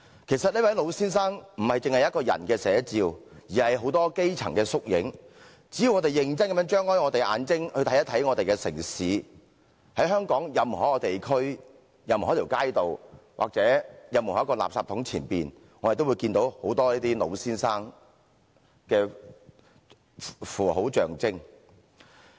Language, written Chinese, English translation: Cantonese, 其實這位老先生是眾多基層人士的縮影，只要我們認真地張開眼睛去看看我們的城市，在香港任何一個地區，任何一條街道，或任何一個垃圾桶前，我們也可看到很多這些"老先生"。, This old man is in fact a representation of a massive number of grass - roots citizens . If we open our eyes and take a serious look at our city we can see a lot of these old men in any district on any street or before any garbage bin in Hong Kong